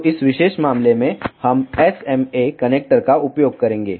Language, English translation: Hindi, So, in this particular case we will be using SMA connector